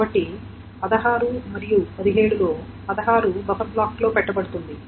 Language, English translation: Telugu, So out of 16 and 17, 16 will be then put into the buffer block